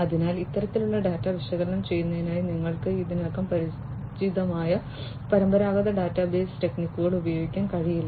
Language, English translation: Malayalam, So, you cannot use the traditional database techniques that you are already familiar with in order to analyze this kind of data